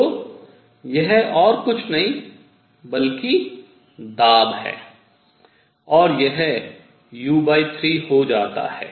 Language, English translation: Hindi, So, this is nothing, but pressure and this comes out to be u by 3